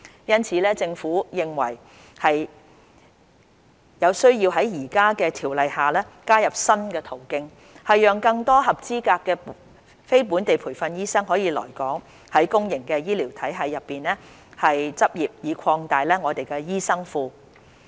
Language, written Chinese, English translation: Cantonese, 因此，政府認為有需要在現有的《條例》下，加入新途徑，讓更多合資格的非本地培訓醫生可以來港在公營醫療體系內執業，以擴大我們的醫生庫。, In view of this the Government considers it necessary to create a new pathway under MRO to allow more qualified NLTDs to practise in our public healthcare sector so as to increase the supply of doctors in Hong Kong